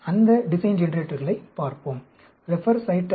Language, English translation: Tamil, Let us look at those design generators